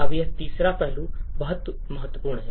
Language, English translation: Hindi, Now this third aspect is very critical